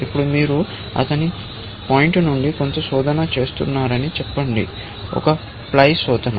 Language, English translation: Telugu, Now, Let us say you are doing some search from his point; one ply search